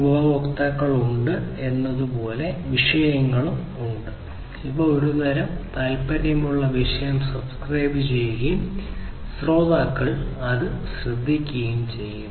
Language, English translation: Malayalam, So, there are topics means like the there are users which basically subscribe to a particular topic of interest and the listeners basically listen to these